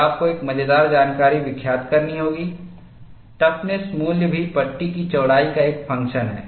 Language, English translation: Hindi, And you have to note a funny information, the toughness value is also a function of panel width